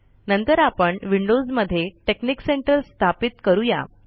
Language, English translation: Marathi, Next we will install texnic center in windows